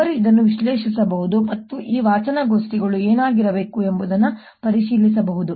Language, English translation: Kannada, one can analyze this and check what these readings should be